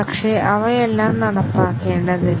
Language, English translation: Malayalam, But, not all of them need to be carried out